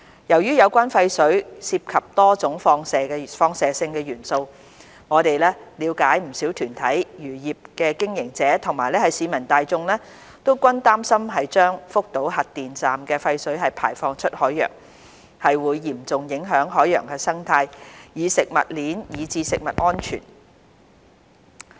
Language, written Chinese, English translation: Cantonese, 由於有關的廢水涉及多種放射性元素，我們了解不少團體、漁業經營者和市民大眾均擔心將福島核電站的廢水排放出海洋，會嚴重影響海洋生態、食物鏈以至食物安全。, Since the wastewater contains various radionuclides we understand that many organizations fishery operators and members of the public are concerned that the discharge of wastewater from the Fukushima nuclear power station into the ocean would have serious impact on marine ecosystem the food chain and food safety